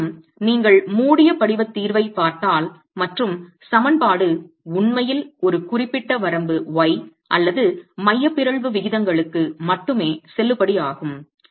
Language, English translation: Tamil, However, if you look at the close form solution and the equation is actually valid only for a certain range of y or the eccentricity ratios